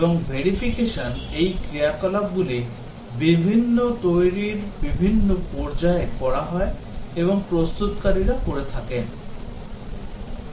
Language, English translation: Bengali, And verification, these activities are done during the different development stages and are done by the developers